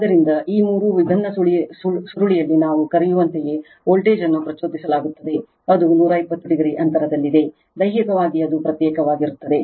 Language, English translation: Kannada, So, voltage will be induced your what we call in all this three different coil, which are 120 degree apart right, physically it is apart right